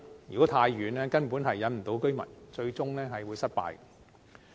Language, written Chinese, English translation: Cantonese, 如果太偏遠，根本無法吸引居民，最終都會失敗。, If they are too far away they will be unable to attract residents and fail in the end